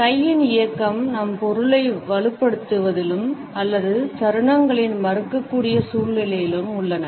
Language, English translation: Tamil, There are situations when the movement of hand can reinforce our meaning or negated at moments